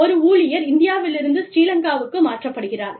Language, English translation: Tamil, An employee gets transferred from, say, India to Srilanka